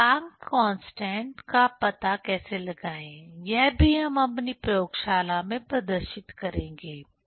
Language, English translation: Hindi, So, how to find out the Plancks constant that also we will demonstrate in our laboratory